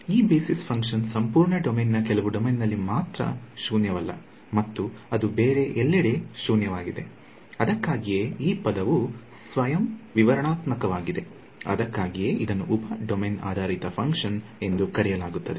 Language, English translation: Kannada, So, this basis function is non zero only in a some domain of the entire domain it is not nonzero everywhere right that is why the word is self explanatory that is why it is called a sub domain basis function